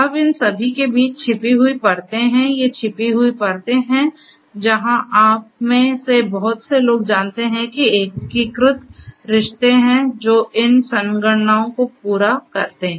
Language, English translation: Hindi, Now, in between are all these hidden layers, these are the hidden layers where lot of you know integrate relationships are there which does these computations